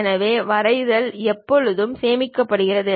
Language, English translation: Tamil, So, drawing always be saved